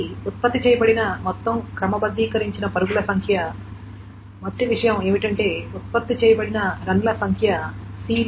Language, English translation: Telugu, So, the total number of sorted runs that is produced, the first thing is that number of sorted runs that is produced is your B by M